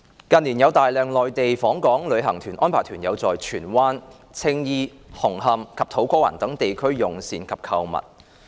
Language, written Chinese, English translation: Cantonese, 近年有大量內地訪港旅行團安排團友在荃灣、青衣、紅磡和土瓜灣等地區用膳及購物。, In recent years a large number of Mainland inbound tour groups have arranged their tour group members to have meals and go shopping in districts such as Tsuen Wan Tsing Yi Hung Hom and To Kwa Wan